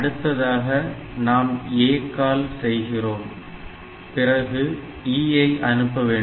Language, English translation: Tamil, So, ACALL send we will do that then we so H is done next is E